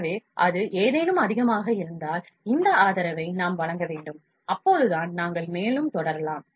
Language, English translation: Tamil, So, if that anything is overhang, then we need to provide this support and only then we can proceed further